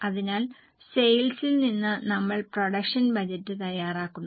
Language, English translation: Malayalam, Sorry, from the sale we prepare production budget